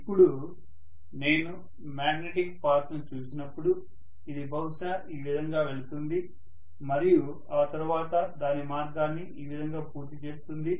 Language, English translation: Telugu, Now when I look at the magnetic path, it is probably going to go like this, go like this and then it will complete its path like this, this is the way the magnetic field line is going to be, right